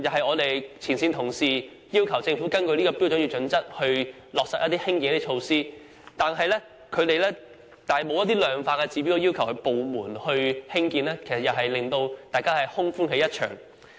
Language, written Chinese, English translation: Cantonese, 我們的前線同事要求政府根據《規劃標準》在社區落實興建一些設施，但政府卻以《規劃標準》的一些量化指標拒絕興建，令大家空歡喜一場。, When my frontline colleagues ask the Government to implement the construction of certain facilities in the communities in accordance with HKPSG the Government has rejected such requests by quoting certain quantitative yardsticks under HKPSG disappointing us all